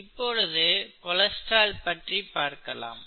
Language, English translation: Tamil, This is cholesterol, right